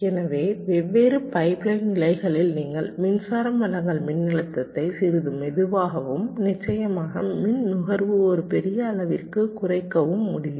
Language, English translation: Tamil, so the different pipe line stages: you can reduce the power supply voltage also ok, to make it a little slower and, of course, to reduce the power consumption